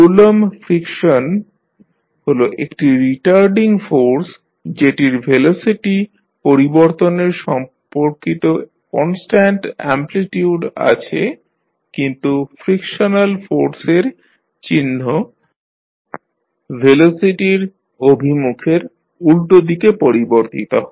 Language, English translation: Bengali, The Coulomb friction is a retarding force that has constant amplitude with respect to the change of velocity but the sign of frictional force changes with the reversal direction of the velocity